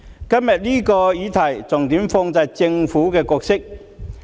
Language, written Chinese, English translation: Cantonese, 今天這項議題，重點放在政府的角色。, The motion today focuses on the role of the Government